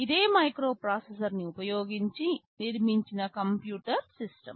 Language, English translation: Telugu, This is a microcomputer, it is a computer system built using a microprocessor